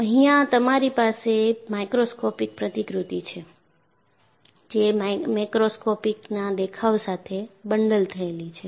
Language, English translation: Gujarati, So, here you have a microscopic model, is bundled with a macroscopic appearance